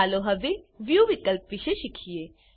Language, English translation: Gujarati, Now first lets learn about View options